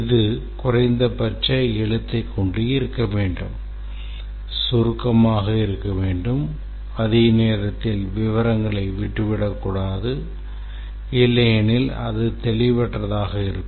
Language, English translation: Tamil, It should be used the minimum writing that is needed, it should be concise and at the same time should not leave out details or be ambiguous